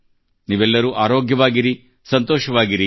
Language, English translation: Kannada, May all of you be healthy and happy